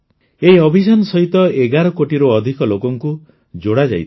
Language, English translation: Odia, More than 11 crore people have been connected with this campaign